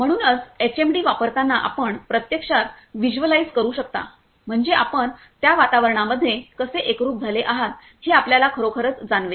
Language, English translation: Marathi, So, while using the HMD in inside this HMD you can actually visualize means actually you can feel that how you are immersed inside that environment